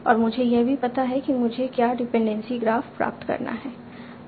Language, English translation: Hindi, And I also know what is the dependency curve that I want to obtain